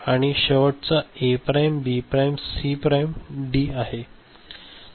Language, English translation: Marathi, And the last one A prime, B prime, C prime D